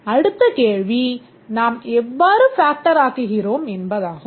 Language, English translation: Tamil, But then the next question comes, how do we factor